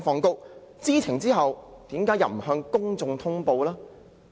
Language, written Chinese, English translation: Cantonese, 在知情後，為何不向公眾通報呢？, After it was informed why did it not notify the public?